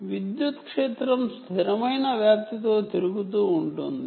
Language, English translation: Telugu, here the electric field rotating, is rotating with a constant amplitude